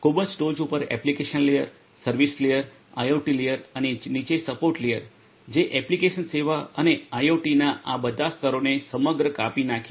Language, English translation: Gujarati, Application layer on the very top, service layer, IoT layer, and the bottom support layer, which cuts across all of these layers of application service and IoT